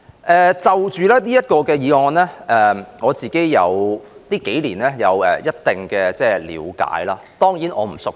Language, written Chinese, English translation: Cantonese, 對於這項議題，我近數年有一定的了解，但我當然並不熟悉。, Speaking of this issue I have got to know more about it over the past few years but understandably I am not well - versed in it